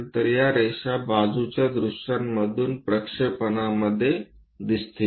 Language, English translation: Marathi, So, these are the lines what one will see in this projection from the side views